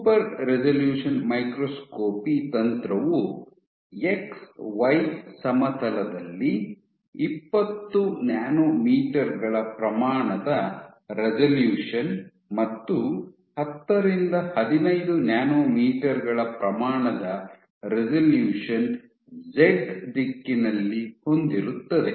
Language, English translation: Kannada, So, super resolution microscopy techniques have resolution of order 20 nanometers in X Y plane, and order 10 to 15 nanometers in Z direction